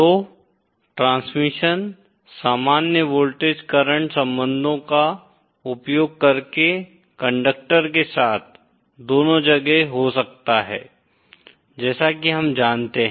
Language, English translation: Hindi, So the transmission can take place both along a conductor using the normal voltage current relationships that we know